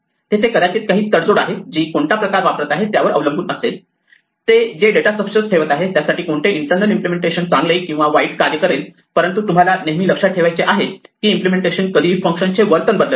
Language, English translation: Marathi, There may be tradeoffs which depend on the type of use they are going to put a data structure to as to which internal implementation works worst best, but what you have to always keep in mind is that the implementation should not change the way the functions behave